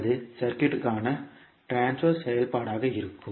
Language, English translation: Tamil, That would be the transfer function for the circuit